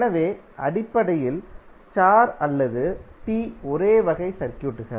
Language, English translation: Tamil, So basically the star or T are the same type of circuits